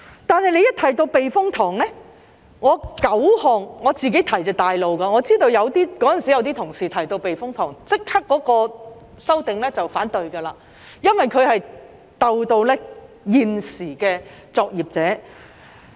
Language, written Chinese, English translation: Cantonese, 但當提到避風塘，我提出的9項議案都是較主流的，我知道當時有些同事只要提到避風塘，便會立即反對修訂，因為牽涉到現時的作業者。, But then speaking of typhoon shelters the nine motions that I proposed were the more mainstream ones . I am aware that some Honourable colleagues back then would oppose to the amendments immediately as long as we mentioned the typhoon shelters since existing workers would be involved